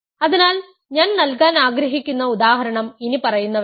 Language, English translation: Malayalam, So, one example I want to give is the following